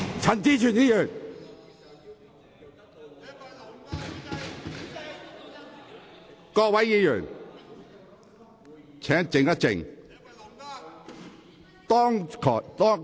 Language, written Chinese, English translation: Cantonese, 請各位議員肅靜。, Will Members please remain silent